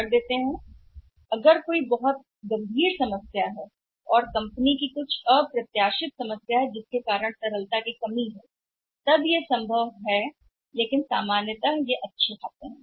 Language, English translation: Hindi, Somehow if there is a very serious issues or very serious problem and there is there is some unforeseen problem faced by the company because of the lack of liquidity then it will be possible but normally they are good accounts